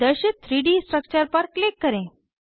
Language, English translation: Hindi, Click on the displayed 3D structure